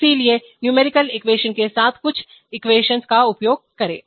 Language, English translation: Hindi, So use some equation with numerical equations